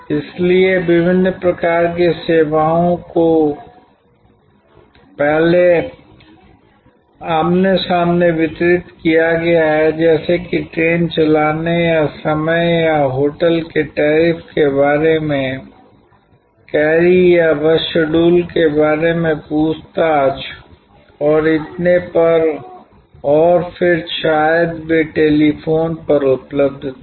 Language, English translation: Hindi, So, different kinds of information services earlier have been delivered face to face, like the train running time or query about a hotel tariff or enquiry about bus schedule and so on and then maybe they were available over telephone